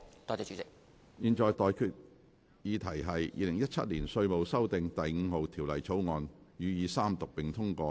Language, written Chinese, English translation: Cantonese, 我現在向各位提出的待議議題是：《2017年稅務條例草案》予以三讀並通過。, I now propose the question to you and that is That the Inland Revenue Amendment No . 5 Bill 2017 be read the Third time and do pass